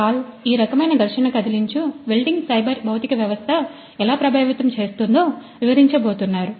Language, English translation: Telugu, Pal who is going to explain how this kind of friction stir welding is cyber physical system what’s impacted